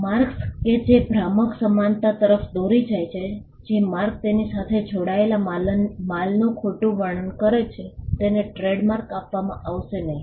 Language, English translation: Gujarati, Marks that lead to deceptive similarity, marks which misdescribes the goods attached to it will not be granted trademark